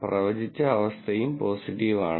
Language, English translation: Malayalam, The predicted condition is also positive